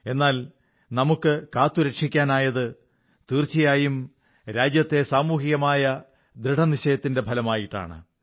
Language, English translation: Malayalam, But whatever we have been able to save is a result of the collective resolve of the country